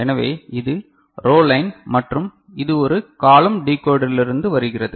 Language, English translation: Tamil, So, this is the row line and this is coming from a column decoder